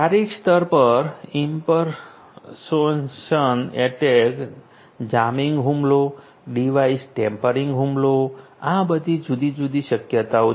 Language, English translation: Gujarati, At the physical layer, impersonation attack, jamming attack; device tampering attack are all these different possibilities